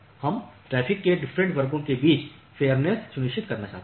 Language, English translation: Hindi, We want to ensure fairness among different classes of traffic